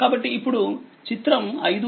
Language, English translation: Telugu, So, this is my figure 5